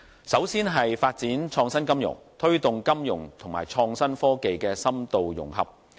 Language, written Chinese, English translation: Cantonese, 首先是發展創新金融，推動金融與創新科技的深度融合。, First it is developing innovative finance to facilitate further integration of financial services with innovative technologies